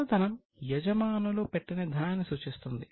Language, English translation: Telugu, Capital refers to the money which owners have put in